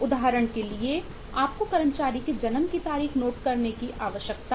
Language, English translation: Hindi, for example, you need to note the date of birth of the employee